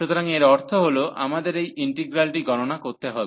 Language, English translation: Bengali, So, this is the integral